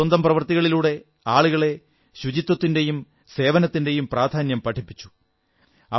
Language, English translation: Malayalam, Through her work, she spread the message of the importance of cleanliness and service to mankind